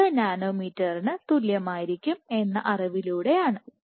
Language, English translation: Malayalam, 38 nanometers should give you the entire length